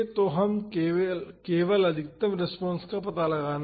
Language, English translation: Hindi, So, we just have to find the maximum of the response